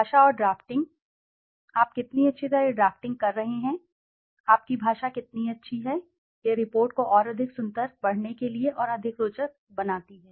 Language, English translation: Hindi, Language and drafting, how nicely you are drafting, how good your language is makes the report more beautiful, more interesting to read